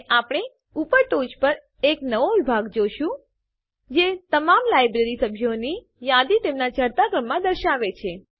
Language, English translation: Gujarati, And we see a new section at the top that lists all the members of the Library in ascending order